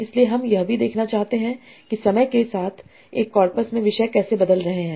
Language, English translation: Hindi, So we might also want to look at how the themes in a corpus are changing over time, how they are evolving over time